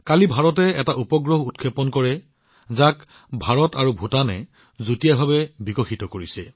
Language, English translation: Assamese, Just yesterday, India launched a satellite, which has been jointly developed by India and Bhutan